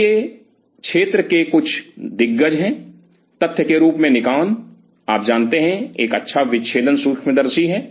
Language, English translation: Hindi, So, where these are some of the giants in the field or Nikon as a matter of fact you know to have a good dissecting microscope